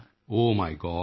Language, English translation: Punjabi, O my God